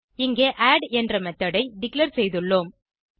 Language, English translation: Tamil, Here we have declared a method called add